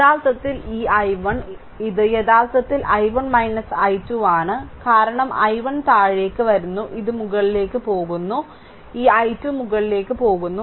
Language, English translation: Malayalam, So, I is equal to actually this i 1 it is actually i 1 minus i 2 because i 1 is coming downwards and this is going upward this i 2 is going upwards